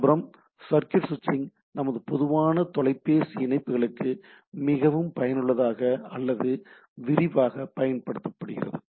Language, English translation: Tamil, The circuit switching on the other hand is extremely useful or extensively used for our standard telephone connections, right